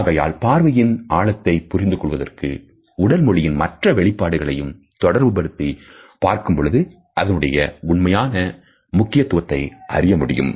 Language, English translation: Tamil, So, intensity of gaze has to be understood coupled with other body linguistic signs to understand the true import of a